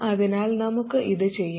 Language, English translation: Malayalam, So let's do this